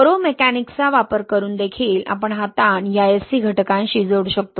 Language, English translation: Marathi, Using poromechanics also we can relate this stress to this Sc factor